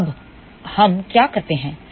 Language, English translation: Hindi, So, now, what we do